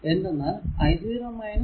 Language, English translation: Malayalam, And this is 0